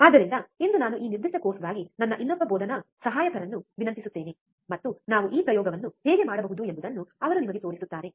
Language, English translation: Kannada, So, for today I will request my another teaching assistant for this particular course, and he will be showing you how we can perform this experiment